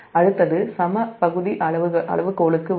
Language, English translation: Tamil, next will come to the equal area criterion